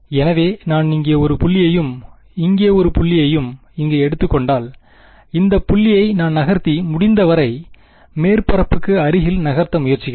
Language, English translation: Tamil, So, if I take 1 point over here and 1 point over here and I move this point over here, and I move this point I am trying to move as close as possible to the surface